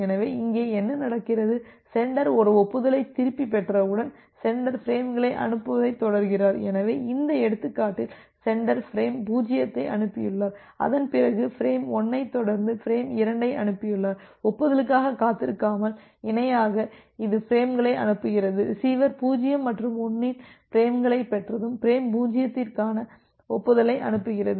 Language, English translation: Tamil, So, what happens here that well the sender keep on sending the frame and once the sender gets back an acknowledgement, so, here say in this example the sender has transmitted frame 0 followed by frame 1 followed by frame 2, it is sending the frames in parallel without waiting for the acknowledgement, but whenever the receiver has received frames 0’s and 1’s it sends the acknowledgement for frame 0